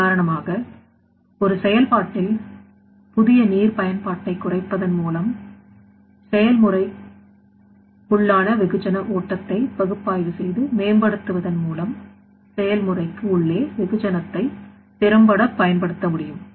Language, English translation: Tamil, For example, I have already told that minimizing of the fresh water use in a process like the efficient utilization of mass within the process through the analysis and optimization of the mass flow within the process